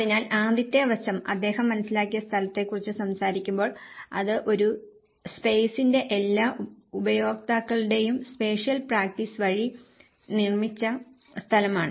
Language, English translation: Malayalam, So, the first aspect, when he talks about the perceived space, which is the space which has been produced by the spatial practice of all the users of a space